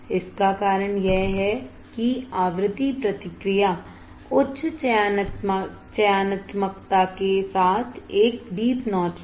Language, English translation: Hindi, This is because the frequency response was a deep notch with high selectivity